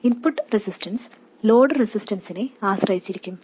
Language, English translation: Malayalam, The input resistance can depend on the load resistance